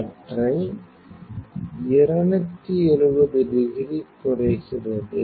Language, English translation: Tamil, The beam is falling 270 degrees